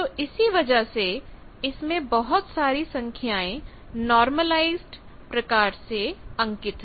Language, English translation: Hindi, So that is why it has various values which are plotted in normalize way